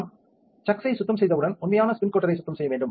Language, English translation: Tamil, When we have cleaned the chucks, we need to clean the actual spin coater